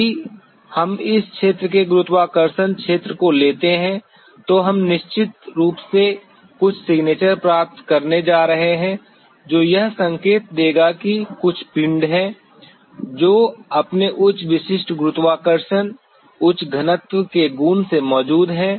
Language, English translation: Hindi, if we take the gravity field of this area then we definitely going to get some signature which will be indicating that there is some body which is present there by virtue of its higher specific gravity, higher density